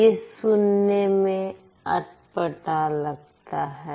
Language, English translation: Hindi, It sounds a little weird